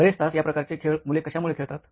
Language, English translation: Marathi, What makes them play these kind of games for long hours